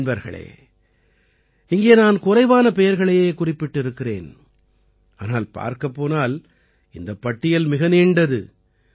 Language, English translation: Tamil, Friends, I have mentioned just a few names here, whereas, if you see, this list is very long